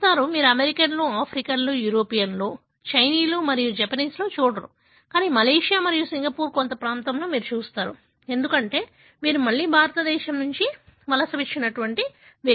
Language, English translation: Telugu, You do not see in the Americans or Africans or Europeans or Chinese, Japanese, but you see in some part of Malaysia and Singapore, because these are again people migrated from India